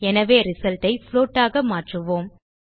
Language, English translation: Tamil, So let us change the result to a float